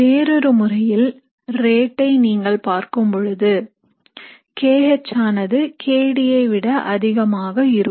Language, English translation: Tamil, So in other terms, if you were to look at the rates, kH would be greater than kD